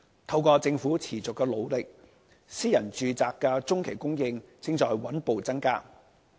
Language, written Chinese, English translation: Cantonese, 透過政府持續的努力，私人住宅的中期供應正在穩步增加。, As a result of the persistent efforts made by the Government the medium - term supply of private residential units is steadily increasing